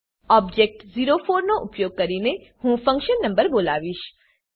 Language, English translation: Gujarati, I will call the function number using the object o4